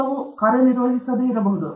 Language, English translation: Kannada, The experiment will not work